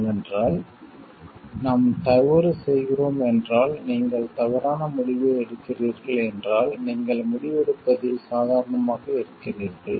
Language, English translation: Tamil, Because if we are committing an error and if you are taking a wrong decision, the if you are casual in a decision making